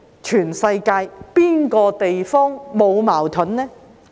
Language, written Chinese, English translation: Cantonese, 全世界哪個地方沒有矛盾的呢？, Which part of the world is devoid of conflicts?